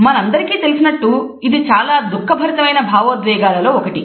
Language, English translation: Telugu, And as all of us understand it is one of the most distressing emotions